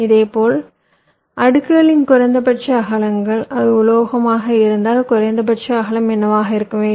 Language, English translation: Tamil, similarly, minimum widths of the layers: if it is metal, what should be the minimum width